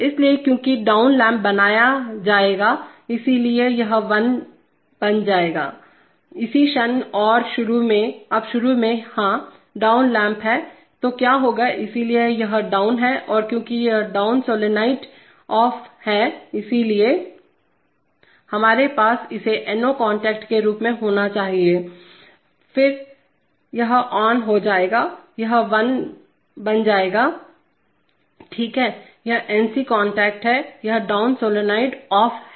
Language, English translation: Hindi, So because the down lamp will be made, so this will become on, the moment and, so initially, now initially, yeah, down lamp is the, so what will happen, so it is down and because the down solenoid is off, so therefore this actually is, we should have this as an NO contact, so then this will become on, it will become, now, it will become, no, alright, so correct, it is an NC contact, this is, this down solenoid is off